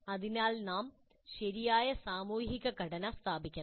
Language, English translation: Malayalam, So we must establish proper social structure